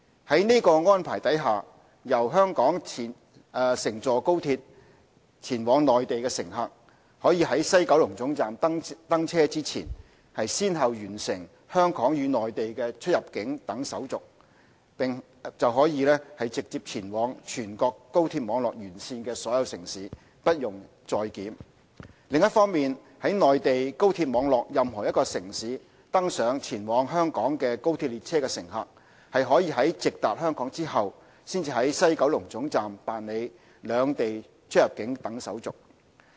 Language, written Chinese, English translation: Cantonese, 在這安排下，由香港乘坐高鐵往內地的乘客，可於西九龍總站登車前，先後完成香港與內地的出入境等手續，便可直接前往全國高鐵網絡沿線的所有城市，不用再檢；另一方面，在內地高鐵網絡任何一個城市登上前往香港的高鐵列車的乘客，可在直達香港後才於西九龍總站辦理兩地出入境等手續。, Under this arrangement passengers travelling on the XRL from Hong Kong to the Mainland can go through the CIQ procedures of both Hong Kong and the Mainland successively at WKT before boarding the train and then travel to Mainland cities on the national high - speed rail network direct without going through CIQ procedures again . On the other hand passengers can travel by XRL from any cities on the national high - speed rail network to Hong Kong direct and only go through CIQ procedures of both places at WKT